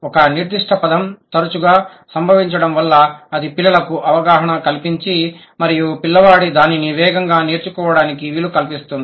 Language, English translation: Telugu, If a particular word has been frequently occurring and it gives the exposure of, it gives the child the exposure and it facilitates the learning, the child is going to acquire it faster